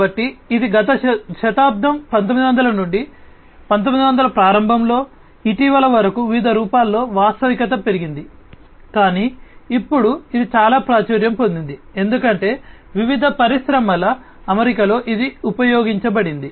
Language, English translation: Telugu, So, it has been there since the last century 1900 early 1900 till recently augmented reality in different forms was there, but now it has become much more popular, because of its use in different industry settings and different other settings, as well